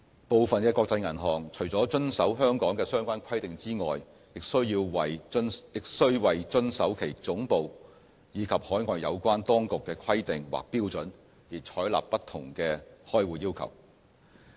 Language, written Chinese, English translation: Cantonese, 部分國際銀行除了遵守香港的相關規定之外，也須為遵守其總部，以及海外有關當局的規定或標準而採納不同的開戶要求。, Apart from meeting local requirements some international banks also need to apply different account opening processes in order to comply with the requirements or standards mandated by their head offices or overseas authorities